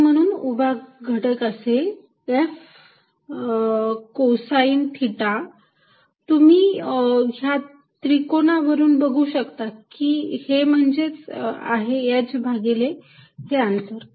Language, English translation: Marathi, And therefore, vertical component is going to be F cosine of theta, which by this triangle you can see it is nothing but h divided by this distance